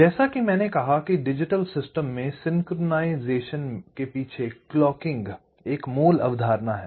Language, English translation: Hindi, ok, so, as i said, clocking is the basic concept behind synchronization in digital system